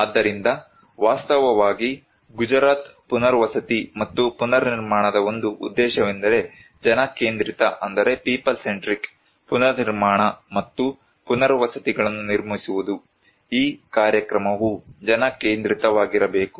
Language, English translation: Kannada, So, actually the one of the objectives of Gujarat rehabilitation and reconstruction is to build People Centric Reconstruction and Rehabilitations, the program should be people centric